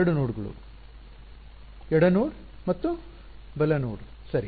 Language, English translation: Kannada, 2 nodes: a left node and a right node ok